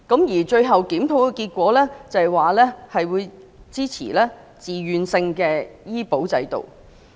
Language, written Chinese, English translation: Cantonese, 而最新的檢討結果顯示，市民支持自願性醫保制度。, Meanwhile the most recent review has found that the public supported a voluntary health care insurance system